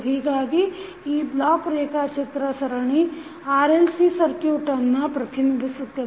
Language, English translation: Kannada, So, this block diagram will represent the series RLC circuit